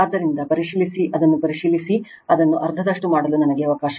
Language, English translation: Kannada, So, just check just check it will let me let me make it half right